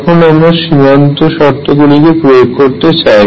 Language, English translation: Bengali, Now let us apply boundary conditions